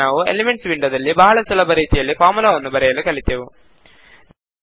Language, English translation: Kannada, Now we learnt how to use the Elements window to write a formula in a very easy way